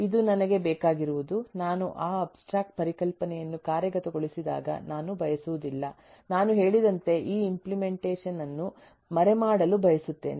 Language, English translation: Kannada, that is what I want is: I do not want, when I implement that abstract concept, I want to kind of, as I say, hide that implementation